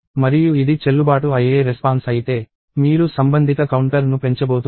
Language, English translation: Telugu, And if it is valid response, you are going to increment the corresponding counter